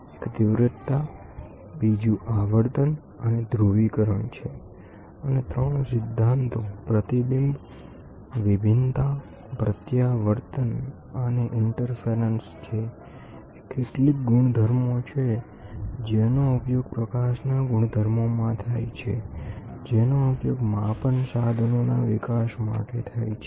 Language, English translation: Gujarati, One is intensity, frequency and polarization; and the 3 principles is the reflection, diffraction, refraction and interference are some of the properties, which are used in properties of light, which are used for developing instruments for measurements